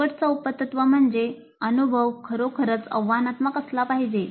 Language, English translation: Marathi, Then the last sub principle is that the experience must really be challenging